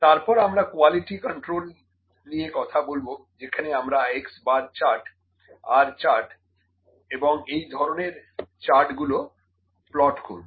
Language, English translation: Bengali, And then, we will also take it forward to the quality control, where we will plot x bar chart and R chart and another charts like this